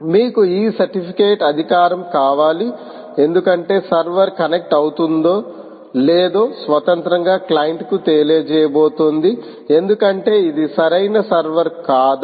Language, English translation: Telugu, you want this certificate authority because it is independently going to inform the client whether the server is connecting, is indeed the right server or not